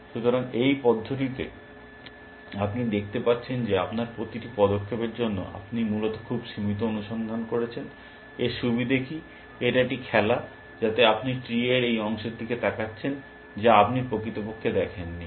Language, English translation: Bengali, So, in this manner, you can see that for every move that you are making, you are doing a limited search essentially, what is a advantage of that, is that there is a game and force you are looking at those part of the three, which you are not seen originally